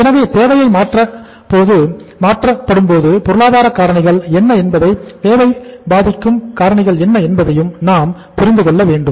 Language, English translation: Tamil, So it means we will have to see that what are the economic factors which are going to change the demand, impact the demand